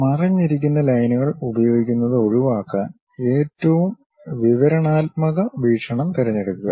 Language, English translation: Malayalam, To avoid using hidden lines, choose the most descriptive viewpoint